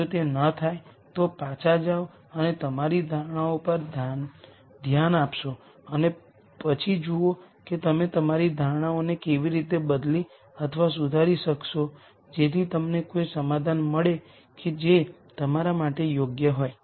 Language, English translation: Gujarati, If it does not you go back and relook at your assumptions and then see how you change or modify your assumptions so that you get a solution that you are comfortable with